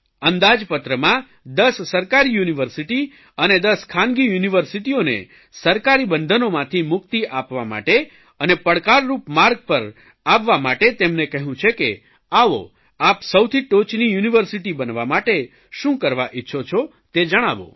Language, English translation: Gujarati, In the Budget, we have made 10 government universities and 10 private universities free from government control and asked them to accept the challenge to flourish on their own